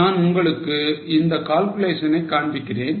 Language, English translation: Tamil, I'll show you the calculations